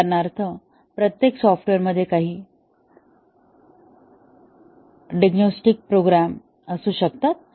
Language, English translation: Marathi, For example, every software might have some diagnostic programs